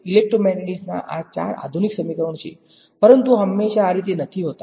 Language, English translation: Gujarati, These are the four modern equations of electromagnetics, but the story was not always this way